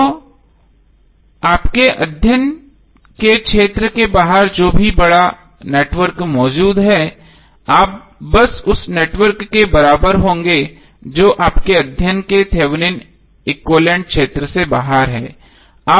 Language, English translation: Hindi, So whatever the larger network outside the area of your study is present you will simply equal that network which is outside the area of your study by Thevenin equivalent